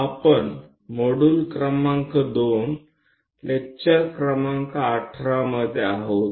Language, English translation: Marathi, We are in module number 2, lecture number 18